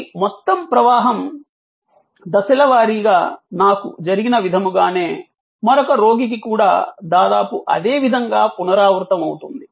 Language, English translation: Telugu, And this whole flow as it happen to me will be almost identically repeated for another patient